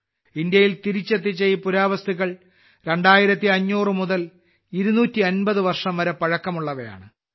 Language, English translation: Malayalam, These artefacts returned to India are 2500 to 250 years old